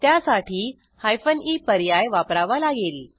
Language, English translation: Marathi, Then we have to use the hyphen e option